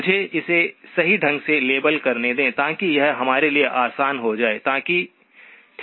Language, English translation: Hindi, Let me just label it correctly so that it will be easy for us to, okay